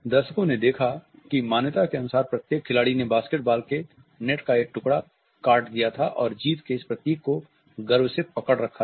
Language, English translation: Hindi, The audience witnessed that each player had ritualistically cut a piece of the basketball net and proudly clutched this symbol of victory